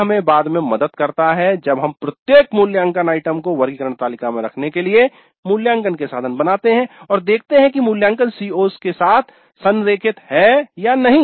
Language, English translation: Hindi, This helps us later when we create assessment instruments to place each assessment item also in the taxonomy table and see that the assessment is aligned to the COs